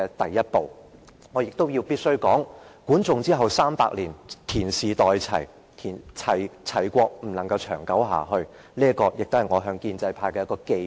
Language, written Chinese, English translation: Cantonese, 我必須指出，管仲身後300年，田氏代齊，齊國不能長存，這亦是我向建制派的寄語。, We should note that 300 years after the death of GUAN Zhong the State of Qi was taken over by the House of TIAN and could not last forever . These are my words for the pro - establishment camp